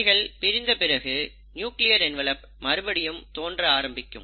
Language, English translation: Tamil, And then, once they are separated, the nuclear envelope restarts to appear